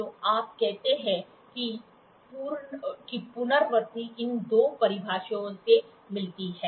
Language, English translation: Hindi, So, when you put that repeatability gets into these two definitions